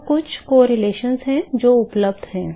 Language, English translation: Hindi, So, there are some correlations which are available